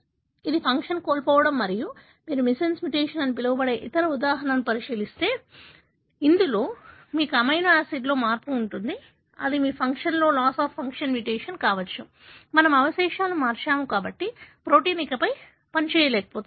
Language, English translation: Telugu, So, it is loss of function and if you look into the other example, which is called as missense mutation, wherein you have a change in amino acid, it could either be your loss of function mutation, we have changed the residue, therefore the protein is no longer able to function as it should